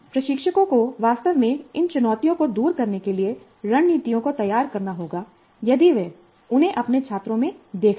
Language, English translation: Hindi, Now instructors have to really devise strategies to overcome these challenges if they notice them in their students